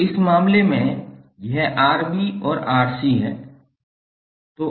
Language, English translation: Hindi, So in this case it is Rb and Rc